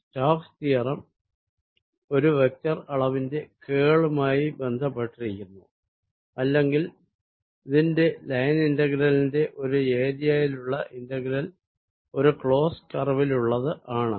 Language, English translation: Malayalam, stokes theorem relates the curl of a vector quantity or its integral over an area to its line integral over a closed curve, and this over a closed volume or close surface